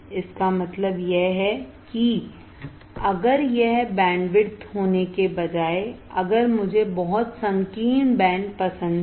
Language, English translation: Hindi, It means that if instead of having this this bandwidth, if I have like this very narrow band using very narrow band right